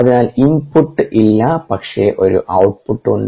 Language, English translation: Malayalam, there is no input, there is no output, there is no ah